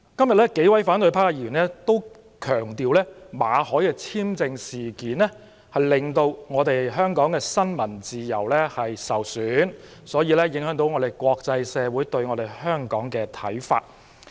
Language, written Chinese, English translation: Cantonese, 數位反對派議員均強調，馬凱事件令香港新聞自由受損，因而影響國際社會對香港的看法。, Several Members of the opposition camp stressed that the MALLET incident has undermined freedom of the press in Hong Kong and in turn affected the international communitys perception of Hong Kong